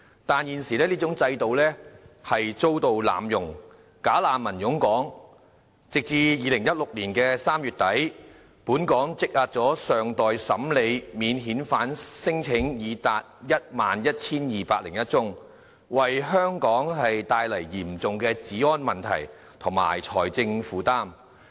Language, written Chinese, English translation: Cantonese, 但是，現時這種制度遭到濫用，"假難民"湧港，截至2016年3月底，本港積壓的尚待審理免遣返聲請已達 11,201 宗，為香港帶來嚴重的治安問題和財政負擔。, However the existing mechanism has been abused and bogus refugees are flooding into Hong Kong . As at the end of March 2016 there was already a backlog of 11 201 cases on non - refoulement claims bringing to Hong Kong serious public order problems and heavy financial burden